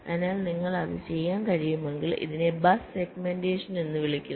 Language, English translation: Malayalam, so, if you can do that, this is called bus segmentation